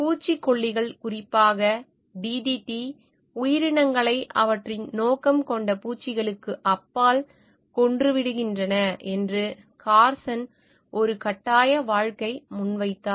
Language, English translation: Tamil, Carson made a compelling case that pesticides, in particular DDT, were killing creatures beyond their intended target insects